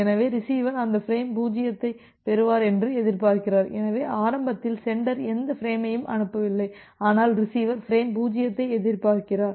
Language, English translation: Tamil, So, the receiver is expecting for receiving this frame 0, so, the initially the sender has not transmitted any frame, but the receiver is expecting frame 0, receiver is expecting frame 0